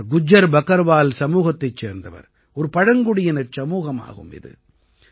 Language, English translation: Tamil, He comes from the Gujjar Bakarwal community which is a tribal community